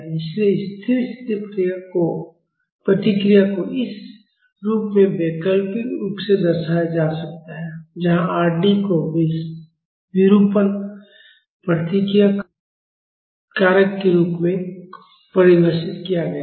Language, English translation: Hindi, So, the steady state response can be alternatively represented in this form, where R d is defined as, a deformation response factor